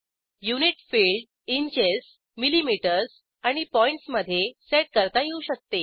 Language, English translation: Marathi, Unit field can be set in inches, millimetres and points